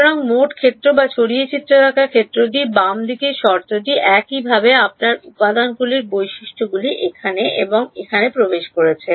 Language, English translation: Bengali, So, whether total field or scattered field the left hand side term is the same right your material properties are entering here and here